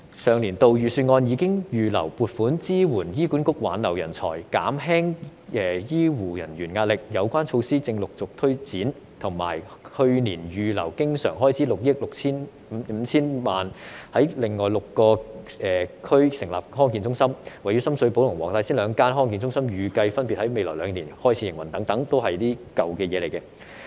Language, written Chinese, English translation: Cantonese, 上年度預算案已預留撥款支援醫管局挽留人才、減輕醫護人員壓力，有關措施正陸續推展，以及去年預留經常開支6億 5,000 萬元在另外6個區成立康健中心，位於深水埗和黃大仙兩間康健中心預計分別在未來兩年開始營運等，全都是舊的政策。, In the budget of last year funding has been earmarked to support HA in retaining talents and reducing the pressure on medical staff . The relevant measures are being implemented one after another . In addition recurrent expenditures amounting to 650 million have been earmarked last year for setting up District Health Centres DHCs in six other districts including the two DHCs in Sham Shui Po and Wong Tai Sin that are expected to commence operation in the next two years etc